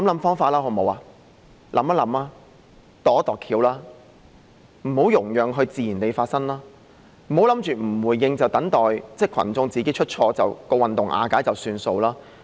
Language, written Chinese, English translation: Cantonese, 想一想，"度一度橋"，不要讓它自然地發生，不要以為不回應，等待群眾自己出錯，運動瓦解便算數。, Do not just let it chart its own course . Do not think that things will be settled by giving no responses waiting for the public to make mistakes themselves and then the movement will fall apart